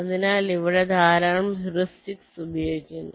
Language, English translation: Malayalam, so again there are lot of heuristics that are used here